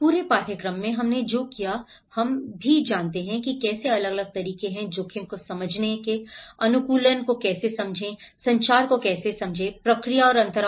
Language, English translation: Hindi, In the whole course, what we did is we also come across different methods you know, how to understand the risk, how to understand the adaptation, how to understand the communication process, the gaps